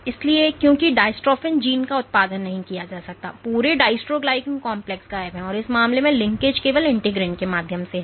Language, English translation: Hindi, So, because the dystrophin gene is not produced the entire dystroglycan complex is missing and in this case the linkage is only through the integrin, integrins ok